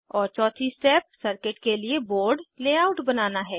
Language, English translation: Hindi, And fourth step is to create board layout for the circuit